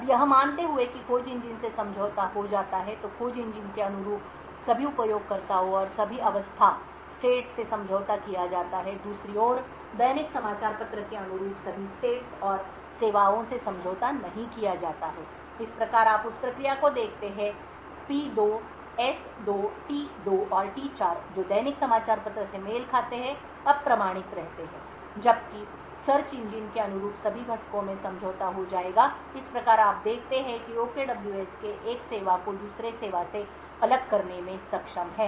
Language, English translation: Hindi, Now assuming that the search engine gets compromised then all the users and all the states corresponding to the search engine is compromised, on the other hand all the states and services corresponding to the daily newspaper is not compromised thus you see that process P2, S2, T2 and T4 which corresponds to the daily newspaper remains uncompromised while all the components corresponding to the search engine would get compromised thus you see that OKWS has been able to isolate one service from the other